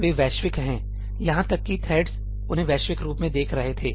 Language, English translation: Hindi, They are global, even the threads were viewing them as global